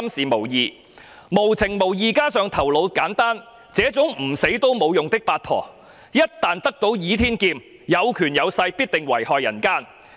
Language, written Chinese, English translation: Cantonese, 無情無義，加上頭腦簡單，這種唔死都冇用嘅八婆，一旦得到倚天劍，有權有勢，必定遺害人間。, A simple - minded woman who is both heartless and ruthless is nothing but a useless bitch who should go to hell because she will surely bring us endless miseries and troubles once she possesses the Heaven Sword and becomes a person with power and influence